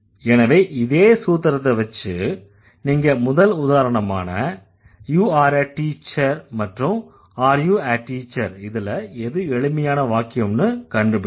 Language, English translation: Tamil, So, follow the same formula and then find out you are a teacher and are you a teacher, which is a very simple one